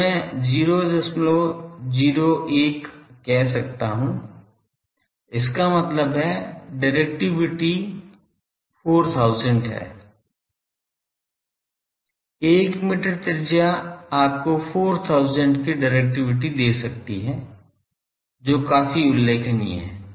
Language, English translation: Hindi, 01 so that means, 4000 is the directivity; 1 meter radius can give you directivity of 4000, quite remarkable